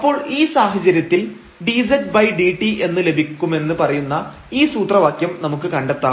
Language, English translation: Malayalam, So, in that case we will derive this formula which says that we can get this dz over dt